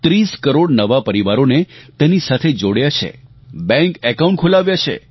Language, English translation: Gujarati, Thirty crore new families have been linked to this scheme, bank accounts have been opened